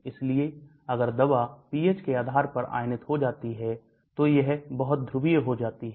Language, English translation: Hindi, So if the drug gets ionized depending upon the pH it becomes very polar